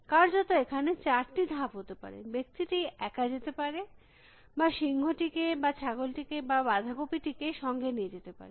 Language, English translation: Bengali, there are four moves possible, the man can go alone or the man can take the lion or the man can take the goat or the man can take the cabbage